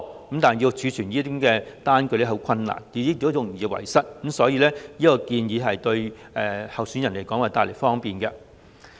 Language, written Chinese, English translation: Cantonese, 可是，要儲存這類開支的單據會很困難，而且容易遺失，所以這項建議對候選人會帶來方便。, Yet it will be very difficult to keep all such expenditure receipts and the receipts can be lost easily . Hence the amendment will bring convenience to candidates